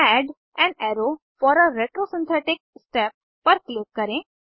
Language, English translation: Hindi, Click on Add an arrow for a retrosynthetic step